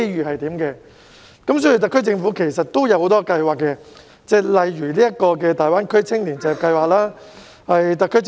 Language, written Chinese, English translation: Cantonese, 其實，特區政府已推出多項計劃，例如大灣區青年就業計劃。, As a matter of fact the SAR Government has rolled out a number of schemes such as the Greater Bay Area Youth Employment Scheme